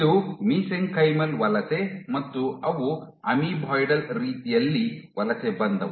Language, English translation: Kannada, This is Mesenchymal migration and they migrated in an Amoeboidal manner